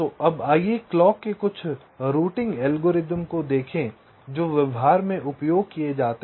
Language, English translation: Hindi, ok, so now let us look at some of the clock routing algorithms which are used in practice